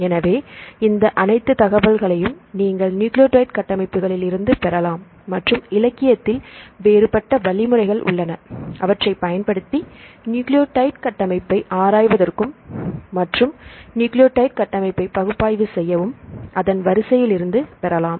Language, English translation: Tamil, So, all these information you can get from the nucleotide structures and we have different algorithms available in the literature to analyze the nucleotide structures as well as to predict the nucleotide structures from the nucleotide sequence